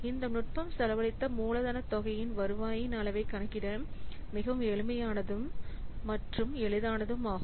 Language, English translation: Tamil, So, this technique provides a very simple and easy to calculate measure of the return on the spent capital amount